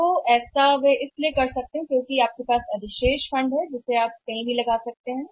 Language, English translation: Hindi, So, how they are going to do that because your surplus fund then they want to park their funds somewhere